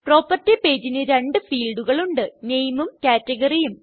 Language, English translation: Malayalam, Property page has two fields – Name and Category